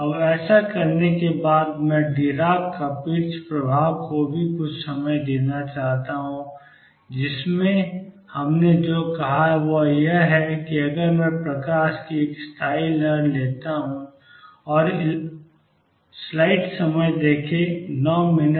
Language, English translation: Hindi, Now having done that I also want to give some time to Dirac Kapitza effect in which what we said is that if I take a standing wave of light